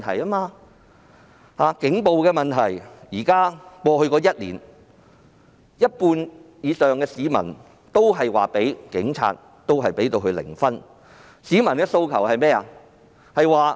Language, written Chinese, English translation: Cantonese, 以警暴問題為例，在過去一年，有過半市民給警隊的表現打零分，市民的訴求是甚麼？, Take the issue of police brutality as an example when it comes to the performance of the Police Force in the past year more than half of the people of Hong Kong gave it a zero score and what is their aspiration?